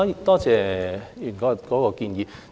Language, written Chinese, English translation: Cantonese, 多謝吳議員的建議。, I thank Mr Jimmy NG for his proposal